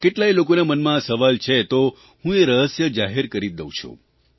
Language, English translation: Gujarati, Many people have this question in their minds, so I will unravel this secret